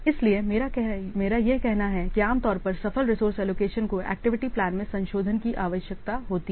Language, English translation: Hindi, That's why I have to say that usually the successful resource allocation often necessitates revisions to the activity plan